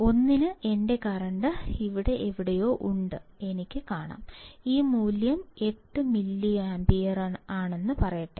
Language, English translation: Malayalam, For 1, I can see here my current is somewhere here and let say this value is 8 and 8 milliampere